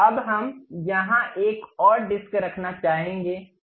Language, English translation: Hindi, Now, we would like to have one more disc here